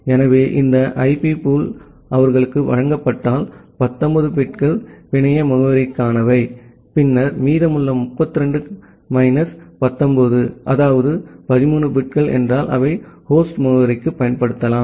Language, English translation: Tamil, So, if this IP pool is given to them that means, the 19 bits are for the network address, and then the remaining 32 minus 19 that means 13 bits, they can use for the host address